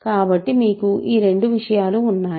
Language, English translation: Telugu, So, you have these two things